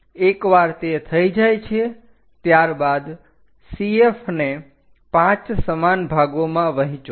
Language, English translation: Gujarati, Once that is done divide CF into 5 equal parts